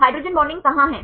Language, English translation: Hindi, Where are the hydrogen bonding between